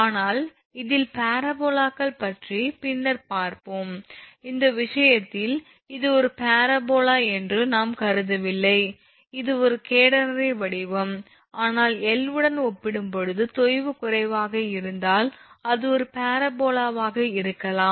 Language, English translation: Tamil, But in this case parabolas we will see later, but in this case, we have not assume that this is a parabola it is a catenary shape, but if sag is less as compared to the L, then that can be considered as a parabola